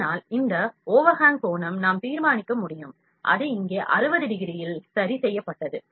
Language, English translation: Tamil, So, this overhang angle that we can decide, ok, that we can decide overhang angle has to be fixed, that is fixed at 60 degrees here